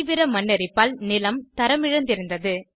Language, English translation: Tamil, Heavy soil erosion had degraded the land quality